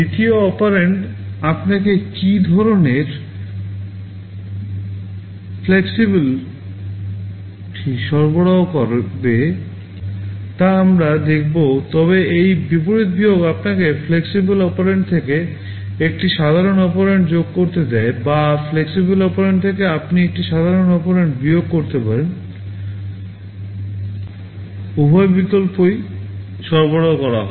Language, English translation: Bengali, We shall be seeing what kind of flexibility the second operand provides you, but this reverse subtract allows you to add a normal operand from a flexible operand, or from a flexible operand you can subtract a normal operand, both options are provided